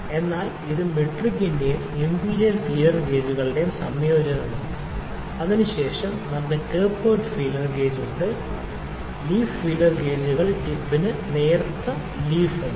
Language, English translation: Malayalam, So, which is a combination of metric and the imperial feeler gauges, then we have tapered feeler gauge a tapered, leaf feeler gauges has leaf that a thin towards the tip